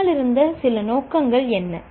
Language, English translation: Tamil, What were some of the motives behind